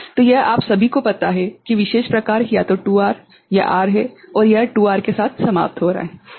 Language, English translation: Hindi, So, it is all of you know particular type either 2R or R and it is terminating here with 2R is it fine